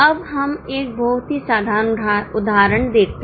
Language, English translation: Hindi, Now let us look at a very simple illustration